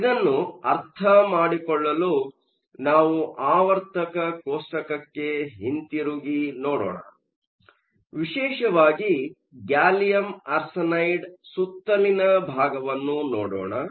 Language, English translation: Kannada, To understand this, let us go back to the periodic table, specially the portion around gallium arsenide